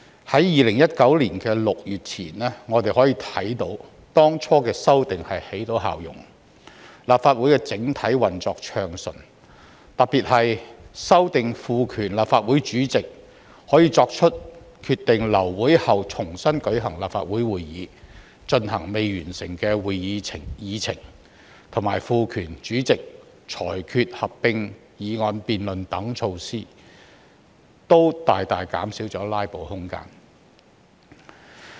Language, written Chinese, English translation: Cantonese, 在2019年6月前，我們可以看到當初的修訂起到成效，立法會整體運作暢順；特別是有關修訂賦權立法會主席可以決定在流會後重新舉行立法會會議，以進行未完成的會議議程，以及賦權主席裁決合併議案辯論等措施，均大大減少了"拉布"的空間。, Before June 2019 we could still notice the effect of that previous amendment exercise and the overall operation of the Legislative Council was rather smooth . This was particularly attributed to the amendments which have empowered the President to order that a meeting will be convened soon after a meeting is aborted for dealing with the rest of the agenda items and also empowered the President to rule that a joint debate shall be conducted on certain motions . The above measures have greatly reduced the room for filibustering